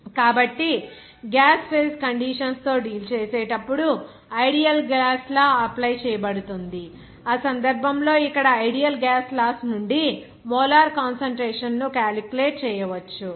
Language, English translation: Telugu, So, when dealing with gas phase under conditions in which ideal gas law applies, so in that case, the molar concentration can be calculated from the ideal gas laws here